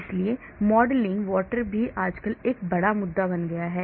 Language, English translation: Hindi, so modeling water also has become a big issue nowadays